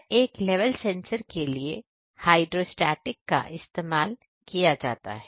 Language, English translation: Hindi, No for each and every each and every level sensors are of hydrostatic types